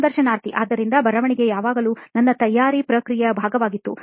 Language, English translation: Kannada, So writing was always part of my preparation process